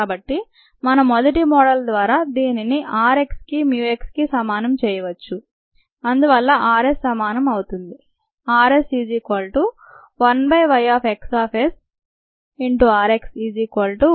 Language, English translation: Telugu, so, going by our first model, this can be written as r x equals mu x